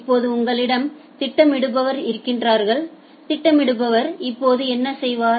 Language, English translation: Tamil, Now you have the scheduler, what the scheduler will do